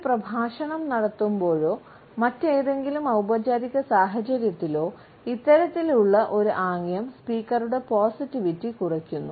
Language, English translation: Malayalam, While delivering a lecture or during any other formal situation, this type of a gesture diminishes the positivity of the speakers image